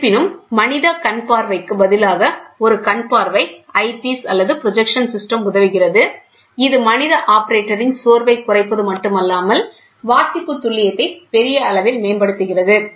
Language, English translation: Tamil, However, the human eye is invariably aided by an eyepiece or a projection system; which not only reduces the fatigue of the human operator, but also improves the reading accuracy to a large extent